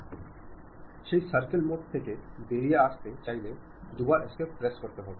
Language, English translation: Bengali, I would like to come out of that circle mode, then press escape twice